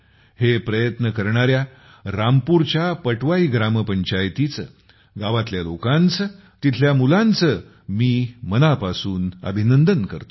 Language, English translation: Marathi, I congratulate the Patwai Gram Panchayat of Rampur, the people of the village, the children there for this effort